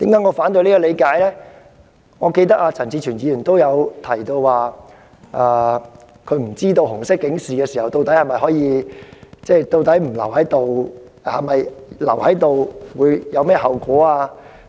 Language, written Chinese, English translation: Cantonese, 我猶記得，陳志全議員亦曾提及自己亦不知道在紅色警示生效期間逗留在綜合大樓內的後果。, As I remember Mr CHAN Chi - chuen likewise said that he himself did not know the consequences of remaining in the LegCo Complex when the Red alert was in force either